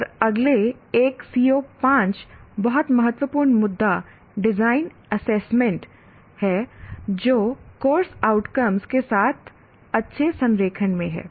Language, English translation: Hindi, And the next one, CO5, the very critical issue, design assessment that is in good alignment with the course outcomes